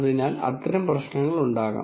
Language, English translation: Malayalam, So, these kinds of issues could be there